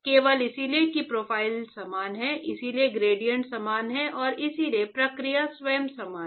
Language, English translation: Hindi, Simply because the profile is similar, the therefore, the gradient is similar and therefore, the process itself is similar